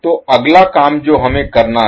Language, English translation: Hindi, So the next task what we have to do